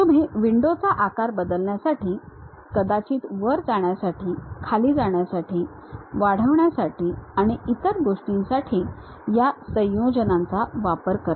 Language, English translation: Marathi, You use these combinations to really change the size of the window, may be moving up, and down increasing, enlarging and other thing